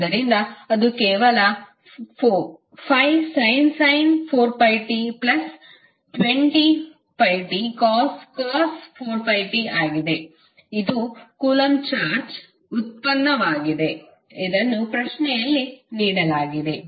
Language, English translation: Kannada, So, that is simply 5 sin 4pi t plus 20 pi t cos 4 pi t that is the derivative of coulomb charge which was given in the question